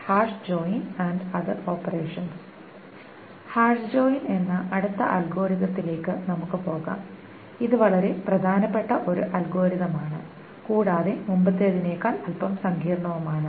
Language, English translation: Malayalam, We will move on to the next algorithm which is a very, very important algorithm and a little more complicated than the previous ones